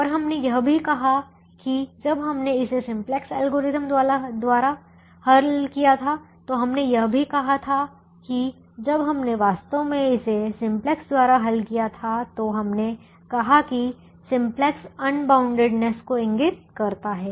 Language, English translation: Hindi, and we also said that if when we solved it by the simplex algorithm, we also said that when we actually solved it by the simplex, we said simplex indicates unboundedness by being able to identify an entering variable but there is no leaving variable